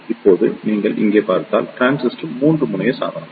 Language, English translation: Tamil, Now, if you see here the transistor is a 3 terminal device